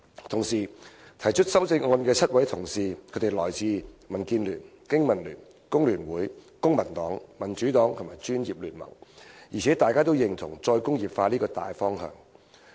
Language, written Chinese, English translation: Cantonese, 同時，提出修正案的7位同事分別來自民主建港協進聯盟、香港經濟民生聯盟、香港工會聯合會、公民黨、民主黨和公共專業聯盟，大家均認同"再工業化"這個大方向。, Also the seven Honourable colleagues who have proposed the amendments are respectively from the Democratic Alliance for the Betterment and Progress of Hong Kong the Business and Professionals Alliance for Hong Kong the Hong Kong Federation of Trade Unions the Civic Party the Democratic Party and The Professional Commons and they all agree with the broad direction of re - industrialization